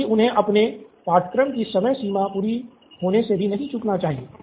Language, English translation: Hindi, At the same time he should not miss out on his course deadlines being satisfied